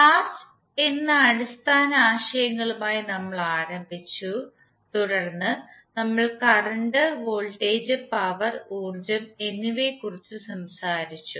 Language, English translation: Malayalam, So we started with the basic concepts of charge then we spoke about the current, voltage, power and energy